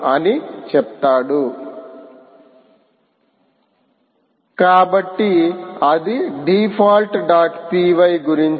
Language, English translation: Telugu, ok, so thats about the default dot p, y